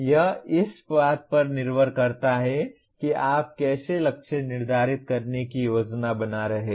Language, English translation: Hindi, It depends on how you are planning to set the targets